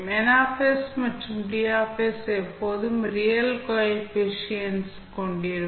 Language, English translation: Tamil, If as Ns and Ds always have real coefficients